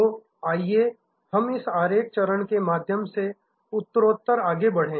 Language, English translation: Hindi, So, let us go through this diagram stage by stage